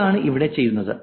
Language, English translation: Malayalam, And that's what is done here